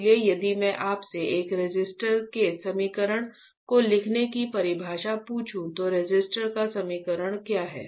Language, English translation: Hindi, So, if I ask you the definition of write down the equation of a resistor what is the equation of resistor